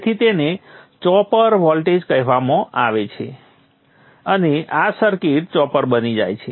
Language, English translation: Gujarati, So it's called a chopper voltage and this circuit becomes a chopper